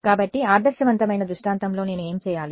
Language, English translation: Telugu, So, what do I do in the ideal scenario